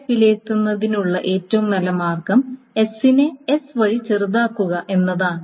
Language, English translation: Malayalam, The best way of evaluating X is to minimize this over the S1